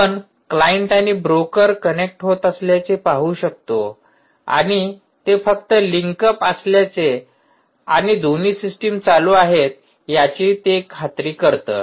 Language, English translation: Marathi, this is, as we mentioned, to see that the client and the broker continue to get connected and they are just ensuring that the link is up and both the systems are alive